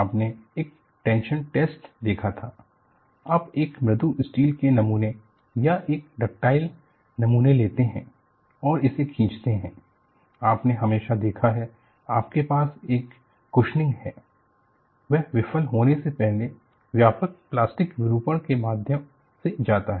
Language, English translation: Hindi, See, you had seen a tension test; you take a mild steel specimen or a ductile specimen and pull it, you have always noticed, you have a questioning; it goes through extensive plastic deformation before it fails